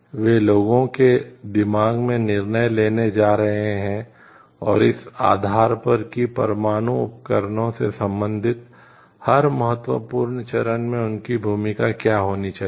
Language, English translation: Hindi, In the mind of the people and based on that they are going to take a decision about, what should be their role in at each of the important stages related to the nuclear equipments